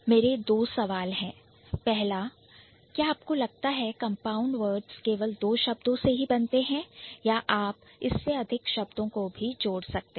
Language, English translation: Hindi, But my question for you would be do you think compound words are limited to two words or it can be more than that